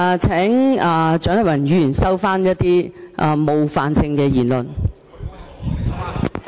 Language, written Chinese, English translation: Cantonese, 請蔣麗芸議員收回一些冒犯性言詞。, I ask Dr CHIANG Lai - wan to withdraw her offensive remark